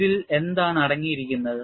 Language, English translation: Malayalam, And what does this contain